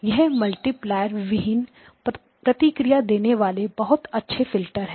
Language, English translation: Hindi, So this is a multiplierless filter, so very low complexity